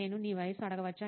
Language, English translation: Telugu, Can I ask your age